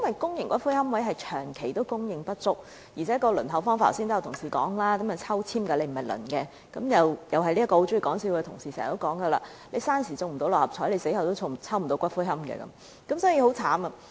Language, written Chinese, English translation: Cantonese, 公營龕位長期供應不足，而且剛才有同事說，決定是否得到龕位是靠抽籤而非輪候，因此該名很喜歡開玩笑的同事又會經常說："生時不能中六合彩，死後也不能抽到龕位"，情況很糟。, Owing to the long - standing shortage of public niches and the allocation of public niches by drawing lots and not by queuing as pointed out by Honourable Members just now the colleague who likes to make jokes thus says we live without winning Mark Six Lottery and die without getting a niche by drawing lots . The situation is that bad